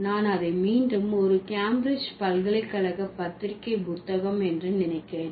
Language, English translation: Tamil, I think it's again, Cambridge University Press book